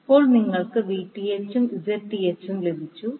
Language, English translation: Malayalam, Now, you got Vth and Zth